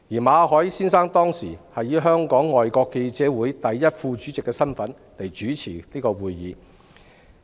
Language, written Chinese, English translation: Cantonese, 馬凱當時是以香港外國記者會第一副主席的身份主持會議。, Back then Mr MALLET hosted the meeting in his capacity as the First Vice President of FCC